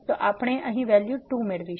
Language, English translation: Gujarati, So, we will get here the value 2 ok